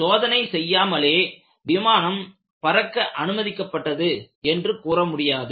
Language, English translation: Tamil, So, it is not that without test the aircraft was allowed to fly